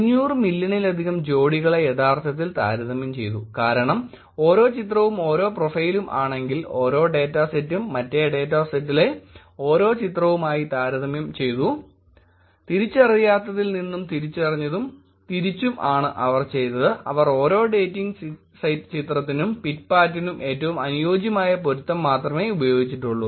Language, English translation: Malayalam, More than 500 million pairs were actually compared, because if each picture and each of the profile, each of the data set were compared with each of the pictures in the other data set, from the un identified to the identified and the reverse also